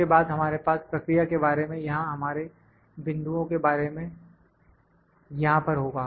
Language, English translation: Hindi, Then we will have about process or our points here